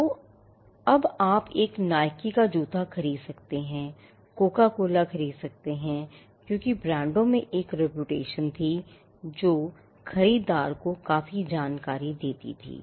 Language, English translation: Hindi, So, now you could buy a Nike shoe or purchase Coca Cola because, the brands had a repetition which conveyed quite a lot of information to the buyer